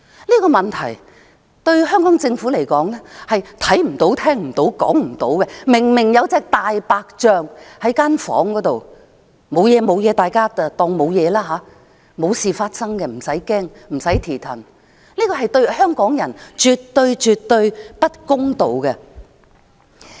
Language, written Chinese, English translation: Cantonese, 這個問題對香港政府而言，是看不到、聽不到、說不到的，明明有一隻大白象在房間，但大家當作無事發生，不用害怕，這對香港人絕對不公道。, For the Hong Kong Government this issue is invisible unheard of and unspoken about . While there is obviously a big white elephant in the room everybody brush it aside as if nothing has happened and nothing is worth worrying about . This is absolutely unfair to the people of Hong Kong